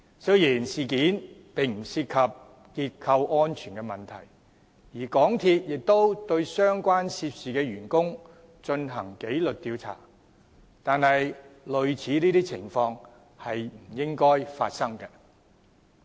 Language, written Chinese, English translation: Cantonese, 雖然事件不涉結構安全問題，而港鐵公司亦對相關的涉事員工進行紀律調查，但類似的情況是不應發生的。, Although the structural safety would not be affected MTRCL had conducted disciplinary inquiry on the staff members concerned as such incidents should not have happened